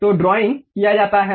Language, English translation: Hindi, So, drawing is done